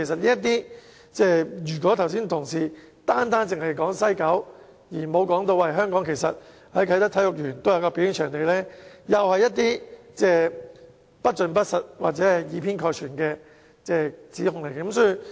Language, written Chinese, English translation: Cantonese, 如果同事剛才單說西九文化區，而不提及啟德體育園的表演場地，同樣是作了不盡不實或以偏概全的指控。, If Members only mention a mega performance venue in WKCD without mentioning the one to be built in the Kai Tak Sports Park they are once again making a false accusation or an accusation which does not represent the whole truth